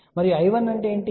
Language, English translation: Telugu, And what is I 1